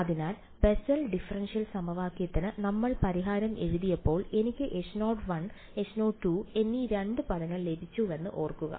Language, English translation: Malayalam, So, remember we had when we wrote our solution to the Bessel differential equation I got two terms H naught 1, H naught 2